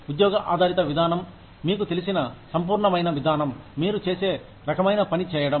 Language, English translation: Telugu, Job based approach is, you know, a holistic approach, to do the kind of job, you do